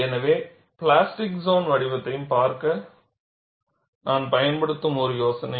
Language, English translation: Tamil, So, that kind of an idea I would use in looking at the plastic zone shape also